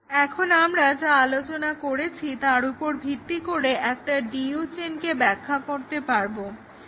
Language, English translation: Bengali, Now, based on what we discussed, we can define a DU chain